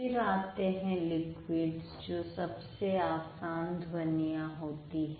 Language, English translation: Hindi, Then you have liquid which are the easiest sounds